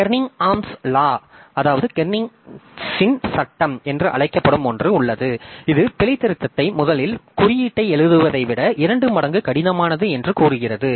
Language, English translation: Tamil, So there is something called a car called Carnegie Law which says that debugging is twice as hard as writing the code in the first place